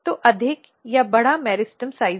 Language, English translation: Hindi, So, there is more or bigger meristem size